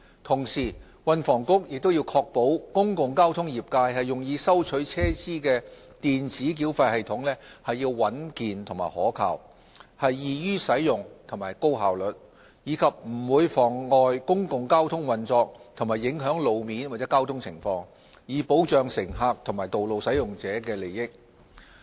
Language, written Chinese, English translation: Cantonese, 同時，運房局亦須確保公共交通業界用以收取車資的電子繳費系統應穩健可靠、易於使用和高效率，以及不會妨礙公共交通運作和影響路面或交通情況，以保障乘客和道路使用者的利益。, At the same time the Transport and Housing Bureau would need to ensure that any new electronic payment system to be adopted in the public transport sector for fare collection should be reliable user - friendly and efficient and would not cause disruption to the operation of the public transport and the road or traffic conditions so as to protect the interest of passengers and road users